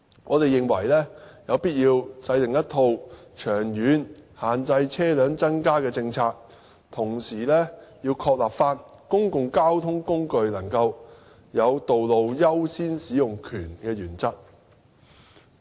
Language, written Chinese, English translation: Cantonese, 我們認為有必要制訂一套長遠限制車輛增加的政策，同時要確立公共交通工具能夠有道路優先使用權的原則。, We believe that it is necessary to formulate a policy to limit vehicle numbers in the long run as well as affirming the principle of giving priority of road use to public transport